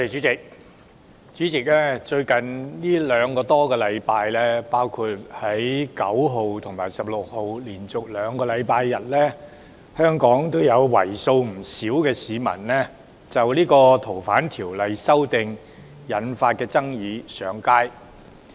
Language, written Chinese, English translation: Cantonese, 主席，在最近兩個多星期，包括本月9日和16日連續兩個周日，香港有為數不少的市民就《逃犯條例》修訂引發的爭議上街。, President over the past two weeks or so which covered the two consecutive Sundays on 9 and 16 this month people have taken to the streets in considerable numbers in Hong Kong over the controversies triggered by the amendment of the Fugitive Offenders Ordinance FOO